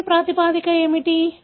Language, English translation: Telugu, What is the genetic basis